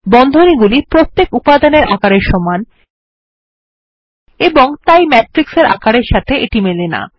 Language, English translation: Bengali, They are of the same size as each element, and hence are not scalable to the size of the matrix